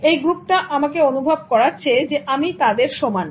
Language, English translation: Bengali, The group is making me feel that I'm equal to them